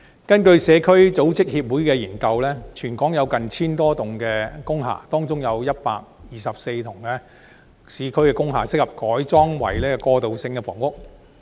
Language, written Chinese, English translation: Cantonese, 根據社區組織協會的研究，全港有 1,000 多幢工廈，當中有124幢市區工廈適合改建為過渡性房屋。, According to a study conducted by the Society for Community Organization there are some 1 000 industrial buildings through out Hong Kong and 124 of them are situated in the urban area and suitable for conversion into transitional housing